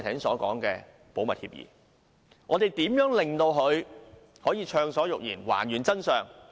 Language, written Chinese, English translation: Cantonese, 我們如何令他可以暢所欲言、還原真相？, What can we do so that he can speak his mind freely and reveal all the facts?